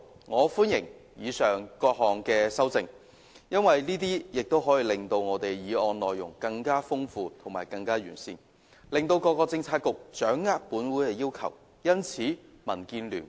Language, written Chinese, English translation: Cantonese, 我歡迎以上各項修正案，因為它們可以令我的原議案內容更豐富和完善，從而讓各政策局掌握本會的要求。, I welcome all the aforesaid amendments because they can enrich and enhance my original motion so as to enable Policy Bureaux to better understand the requests of this Council